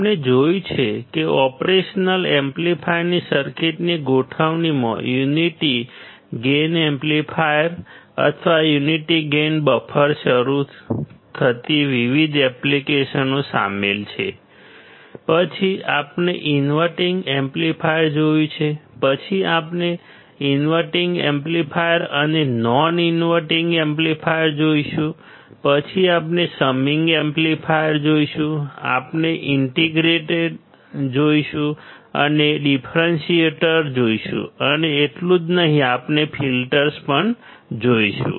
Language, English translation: Gujarati, We have seen that the operational amplifier circuit’s configuration includes several different applications starting from the unity gain amplifier or unity gain buffer; then we have seen inverting amplifier, then we will see inverting amplifier and non inverting amplifier, then we will see summing amplifier, we will see integrator, we will see differentiator and not only that we will also see filters